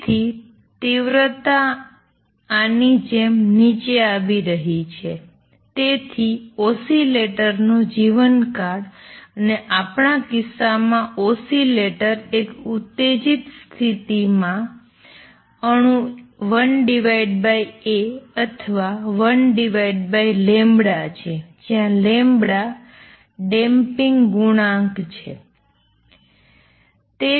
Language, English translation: Gujarati, So, and since the intensity is going down like this, so lifetime of the oscillator and in the in our case the oscillator is the atom in the excited state is 1 over A or 1 over gamma the gamma is damping coefficient